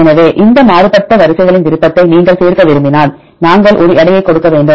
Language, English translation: Tamil, So, if you want to include the preference of these divergent sequences, then we need to give a weight